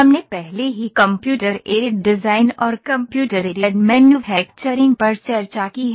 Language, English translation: Hindi, We have already discussed Computer Aided Design and Computer Aided Manufacturing, a little